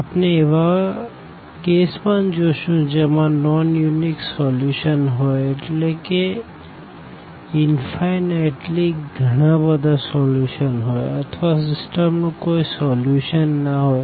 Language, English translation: Gujarati, So, here we will be also dealing the cases when we have non unique solutions meaning infinitely many solutions or the system does not have a solution